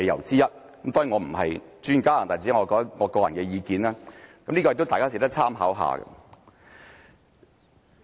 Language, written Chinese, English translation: Cantonese, 當然，我並非專家，這只是我個人意見，也是值得大家參考的。, I am of course not an expert and this is only my personal opinion but it is good for reference